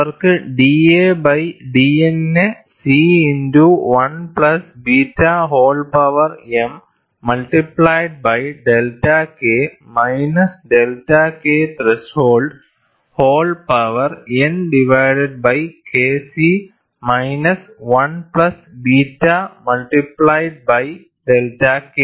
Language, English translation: Malayalam, And they have given d a by d N as capital C into 1 plus beta whole power m multiplied by delta K minus delta K threshold whole power n divided by K c minus 1 plus beta multiplied by delta K